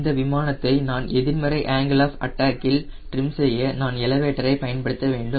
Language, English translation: Tamil, to trim that aero plane, the positive angle of attack, i will have to use elevator